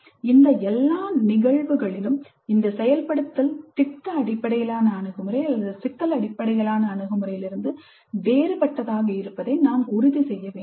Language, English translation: Tamil, In all of these above cases care must be taken to ensure that this implementation remains distinct from product based approach or problem based approach